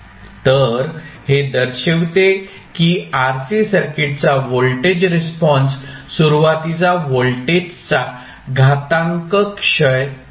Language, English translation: Marathi, So this shows that the voltage response of RC circuit is exponential decay of initial voltage